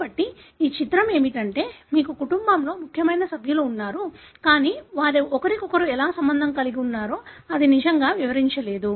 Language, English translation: Telugu, So, what it, this picture shows is that you do have important members of the family, but it doesn’t really explain how they are related to each other